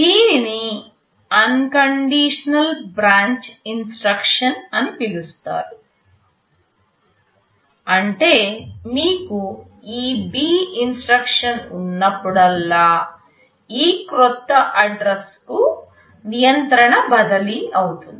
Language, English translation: Telugu, This is called unconditional branch instruction meaning that whenever you have this B instruction, there will always be a control transfer to this new address